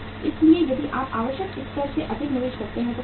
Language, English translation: Hindi, So if you make investment more than the required level so what will happen